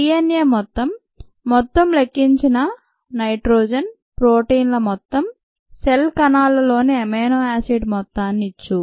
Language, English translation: Telugu, the amount of DNA, the amount of total nitrogen, the amount of protein, the amount of amino acid in a cells could be measured